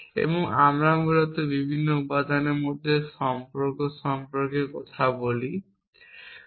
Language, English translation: Bengali, And we can talk about relation between the different elements essentially